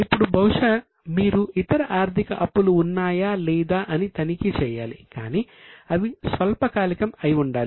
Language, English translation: Telugu, Now perhaps you have to check whether there are any other financial liabilities but which are short term